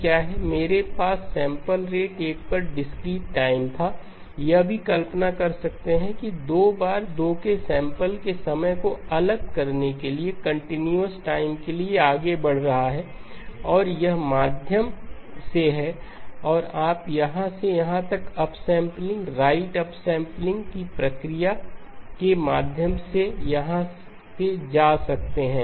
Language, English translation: Hindi, I had discrete time at sampling rate 1, also can visualize as moving to continuous time going to discrete time sampling 2 rate 2 and this is through and you can go from here to here through the process of upsampling right upsampling